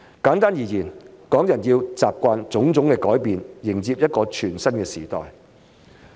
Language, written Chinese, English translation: Cantonese, 簡單而言，港人要習慣種種改變，迎接一個全新的時代。, Simply put Hong Kong people have to embrace a new era while getting used to various changes